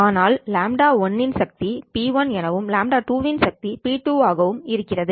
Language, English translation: Tamil, But the power of lambda 1 is p1, power of lambda 2 is p2